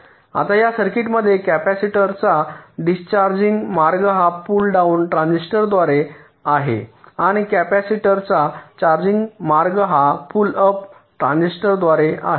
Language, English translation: Marathi, ok, now, in this circuits the discharging path of the capacitor is this: through the pull down transistor and the charging path of the capacitor is this: through the pull up transistor